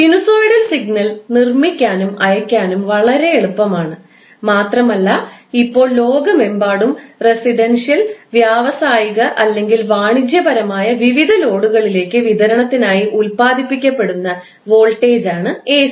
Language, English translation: Malayalam, Sinosoidal signal is very easy to generate and transmit and right now almost all part of the world the voltage which is generated is AC and it is being supplied to various loads that may be residential, industrial or commercial